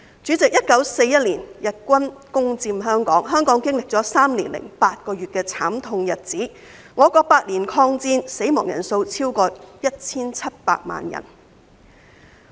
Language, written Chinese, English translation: Cantonese, 主席 ，1941 年日軍攻佔香港，香港經歷了3年8個月的慘痛日子，我國8年抗戰，死亡人數超過 1,700 萬人。, President the Japanese army occupied Hong Kong in 1941 and Hong Kong experienced three years and eight months of misery . During our countrys eight - year war of resistance more than 17 million people died